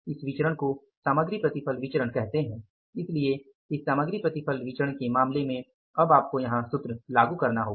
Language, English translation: Hindi, So, in this case of the material yield variance now you have to apply the formula here